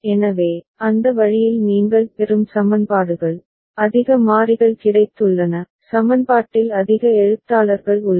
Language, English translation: Tamil, So, that way the equations that you get, has got more variables, more literals present in the equation ok